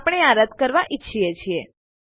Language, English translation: Gujarati, We want to get rid of that